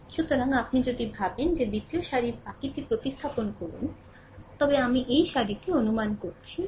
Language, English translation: Bengali, So, if you replace that rest of suppose second row ith row suppose suppose this row